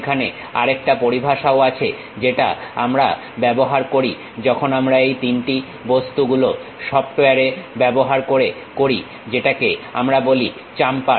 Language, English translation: Bengali, There is other terminology also we use, when we are constructing these 3D objects using softwares, which we call chamfer